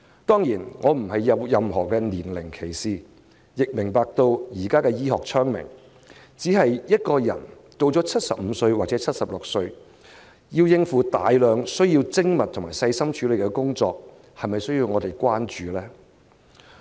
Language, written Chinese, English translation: Cantonese, 當然，我並沒有任何年齡歧視，亦明白現今醫學昌明，只是一個人年屆75或76歲，要應付大量需要精密思考和細心處理的工作，是否需要我們關注？, I certainly do not have age discrimination and I also understand the advances in the science of medicine . However but if a person aged 75 or 76 is required to handle a large amount of work requiring meticulous and careful thinking should we be concerned?